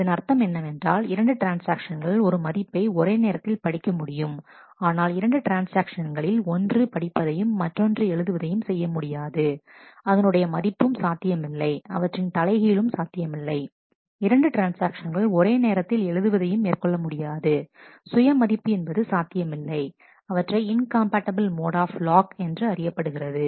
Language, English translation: Tamil, So, which means that two transactions can read a value at the same time, but two transactions cannot one is reading the value and other is writing, the value is not possible the reverse is also not possible and two transactions writing, the value is not possible those are called said to be the incompatible modes of loss